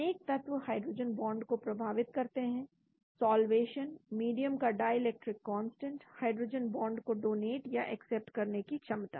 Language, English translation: Hindi, Several factors affect hydrogen bond: solvation, dielectric constant of the medium, hydrogen bond donating accepting ability